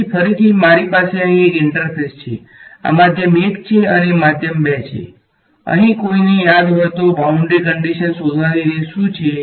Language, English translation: Gujarati, So, again I have an interface over here, this is medium 1 and medium 2 what is the way of a finding a boundary condition over here if anyone remembers